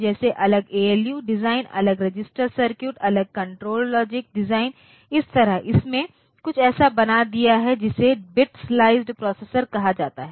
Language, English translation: Hindi, So, this separate ALU design, separate register circuits the register designs, separate control logic design so that way it made something called a bit sliced processor